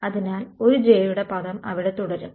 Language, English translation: Malayalam, So, the one j term is going to remain over here right